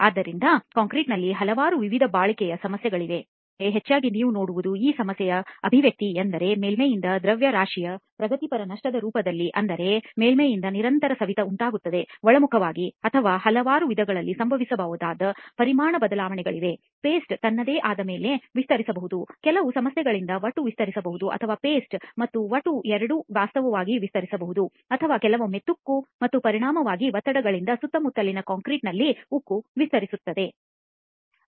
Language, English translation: Kannada, Alright, so there are several different types of durability problems that can happen in concrete, but mostly what you will see is the manifestation of these problems either is in the form of progressive loss of mass from the surface that means there is constant erosion that happens from the surface inwards, or there are volume changes which can happen in several different ways, the paste can expand on its own, the aggregate can expand because of certain issues or both paste and aggregate can actually expand or sometimes the steel expands because of corrosion and resultant stresses in the surrounding concrete